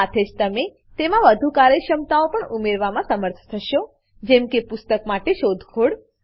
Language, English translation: Gujarati, You will also be able to add more functionalities to it, like searching for a book